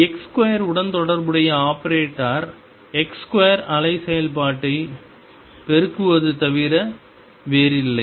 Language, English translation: Tamil, Operator corresponding to x square was nothing but x square multiplying the wave function